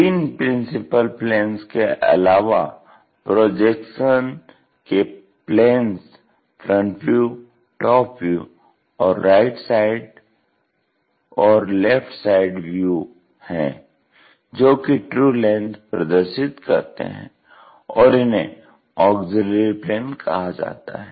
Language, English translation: Hindi, The additional planes of projection other than three principal planes of projections that is of a front view, top view and right side or left side views, which will show true lengths are called these auxiliary planes